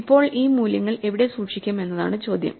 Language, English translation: Malayalam, Now, the question is where do we keep these values